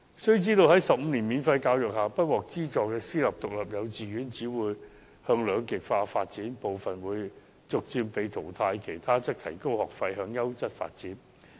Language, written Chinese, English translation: Cantonese, 須知道，在15年免費教育下，不獲資助的私營獨立幼稚園只會向兩極化發展，而部分更會被逐漸淘汰，餘下的自然會提高學費，向優質發展。, It must be borne in mind that under the present 15 years of free education the unaffiliated privately - run kindergartens will only polarize . Some will even be phased out gradually and the rest will naturally raise their tuition fees and develop towards quality ones